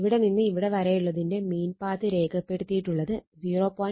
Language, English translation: Malayalam, So, that is why from here to here the mean path it is marked 0